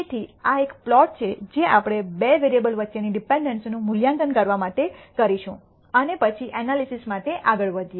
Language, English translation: Gujarati, So, this is a plot which we will do in order to assess dependency between two variables and then proceed for further for analysis